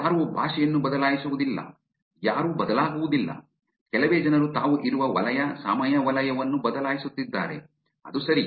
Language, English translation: Kannada, Nobody changes language, nobody's changed, very few people are changing the time zone that they are in